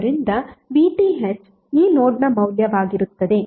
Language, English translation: Kannada, So VTh would be the value of this node